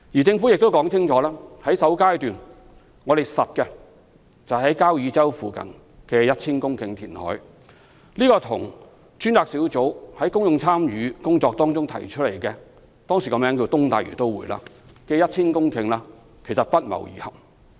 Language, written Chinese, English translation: Cantonese, 政府亦清楚表示，已決定在首階段於交椅洲附近填海 1,000 公頃，這與專責小組在公眾參與工作中提出的、當時名為"東大嶼都會"的 1,000 公頃土地不謀而合。, While the Government has clearly decided to create 1 000 hectares of land near Kau Yi Chau in the first phase of reclamation its decision coincides with the option of reclaiming 1 000 hectares of land for the then - called East Lantau Metropolis proposed by the Task Force in the public engagement exercise